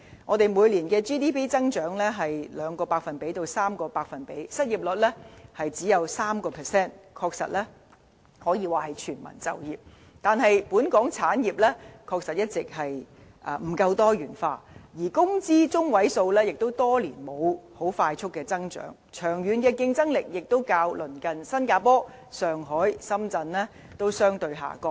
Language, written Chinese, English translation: Cantonese, 我們每年的 GDP 增長是 2% 至 3%， 失業率只有 3%， 的確可說是全民就業，但本港產業一直不夠多元化，而工資中位數亦多年沒有快速增長，長遠競爭力亦較鄰近的新加坡、上海或深圳相對下降。, We manage 2 % to 3 % GDP growth annually and our unemployment rate stands only at 3 % . It can certainly be said that we have achieved full employment . However industries in Hong Kong are always not diversified enough and we have not recorded any rapid growth in median wage for years while our long - term competitiveness has weakened compared to neighbours like Singapore Shanghai or Shenzhen